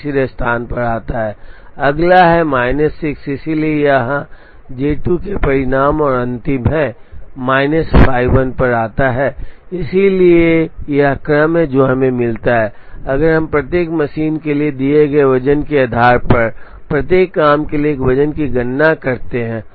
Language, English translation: Hindi, So, J 4 comes third the next one is minus 6, so J 2 comes here and the last is minus 5 J 1 comes here, so this is the sequence that we get, if we compute a weight for each job, based on a weight given to each machine